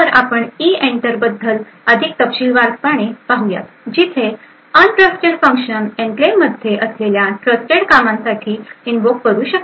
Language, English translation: Marathi, So, we look more in detail about EENTER where untrusted function could invoke a trusted function which present in the enclave